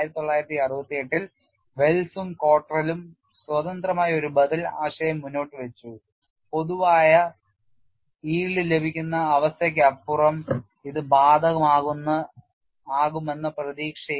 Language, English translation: Malayalam, Wells and Cottrell independently in 1961 advanced an alternative concept in the hope that it would apply even beyond general yielding condition